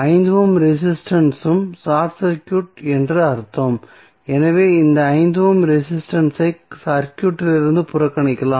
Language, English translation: Tamil, So, that means that 5 ohms resistance is also short circuited so you can neglect this 5 ohm resistance from the circuit